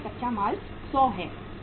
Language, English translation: Hindi, Raw material is 100